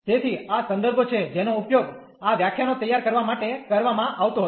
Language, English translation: Gujarati, So, these are the references which were used to prepare these lectures